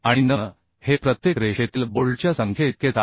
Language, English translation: Marathi, Then we can find out approximate number of bolts per line